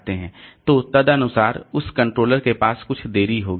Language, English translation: Hindi, So, accordingly that controller will have some, have its own delay